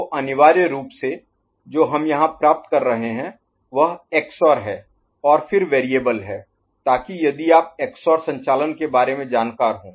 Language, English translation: Hindi, So, essentially what we are getting here is XOR of XOR, and then the variable ok, so that if you are knowledgeable about the XOR operations and all